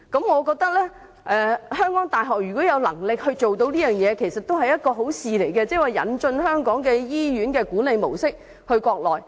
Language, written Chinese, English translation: Cantonese, 我覺得如果香港大學有能力這樣做，其實也是好事，即把香港醫院的管理模式引進國內。, I think it is also nice if HKU has the capacity to introduce the management style of Hong Kong hospitals into the Mainland